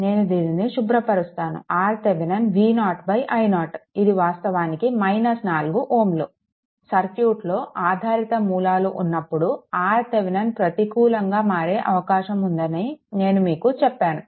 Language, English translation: Telugu, Because let me clear it, because R Thevenin R Thevenin is equal to V 0 by i 0 that is actually minus 4 ohm, I told you that when dependent sources are there in the circuit, there is a possibility that R Thevenin may become negative